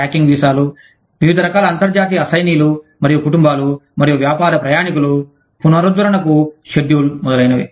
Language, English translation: Telugu, A tracking visas for, various types of international assignees, and families, and business travelers, schedules for renewal, etcetera